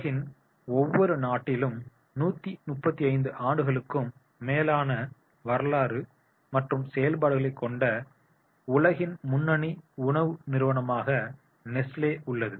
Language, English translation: Tamil, Nesley is the world the leading food company with a 135 year history and operations in virtually every country in the world